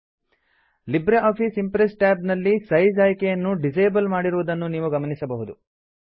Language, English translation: Kannada, In the LibreOffice Impress tab, you will find that the Size options are disabled